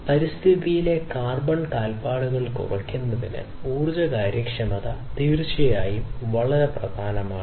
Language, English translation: Malayalam, So, energy efficiency is definitely very important you know reducing carbon footprint on the environment, this is definitely very important